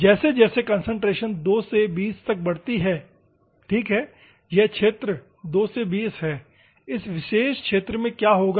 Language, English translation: Hindi, As the concentration increases from 2 to 20 ok, this is the region 2 to 20 in this particular region what will happen